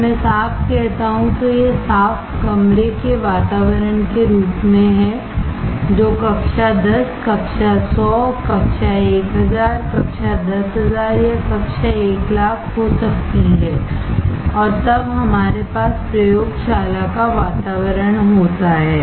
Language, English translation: Hindi, When I say clean it is terms of clean room environment, which can be class 10, class 100, class 1000, class 10000, class 100000 and then we have the laboratory environment